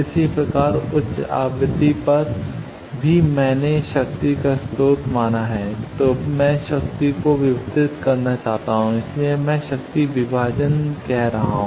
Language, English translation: Hindi, Similarly at high frequency also I have suppose a source of power then from that I want to distribute power, so that is called power divider